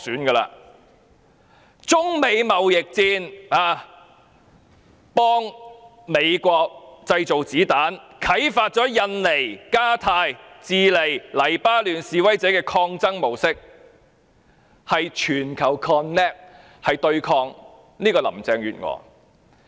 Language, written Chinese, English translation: Cantonese, 在中美貿易戰中，她幫美國製造子彈，啟發了印尼、加泰羅尼亞、智利、黎巴嫩示威者的抗爭模式，是全球 connect 對抗林鄭月娥。, She has assisted the United States in making ammunitions for the China - United States trade war and inspired protesters in Indonesia Catalonia Chile and Lebanon to adopt our mode of struggle . The whole world has connected to resist Carrie LAM